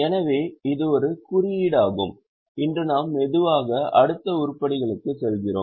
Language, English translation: Tamil, So, this is an index we are slowly going to next items today